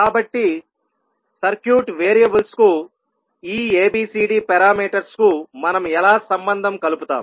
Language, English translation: Telugu, So, how we will relate these ABCD parameters with respect to the circuit variables